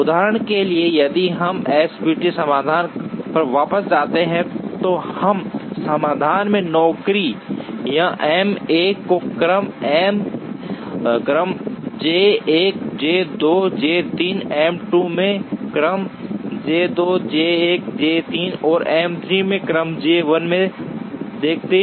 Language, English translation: Hindi, For example, if we go back to the SPT solution, in this solution the jobs visit M 1 in the order J 1 J 2 J3, M 2 in the order J 2 J 1 J 3, and M 3 in the order J 1 J 2 J 3